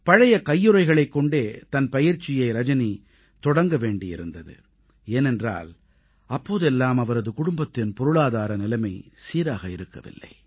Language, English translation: Tamil, Rajani had to start her training in boxing with old gloves, since those days, the family was not too well, financially